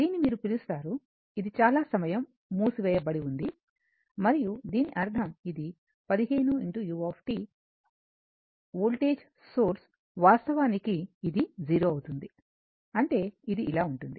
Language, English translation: Telugu, This is your what you call this, this was closed for a long time and that means, this the 15 u t voltage source, actually this is becoming 0 that means, it will be like this, right